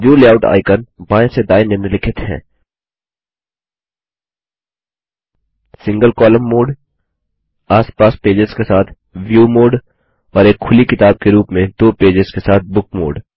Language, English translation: Hindi, The View Layout icons from left to right are as follows: Single column mode, view mode with pages side by side and book mode with two pages as in an open book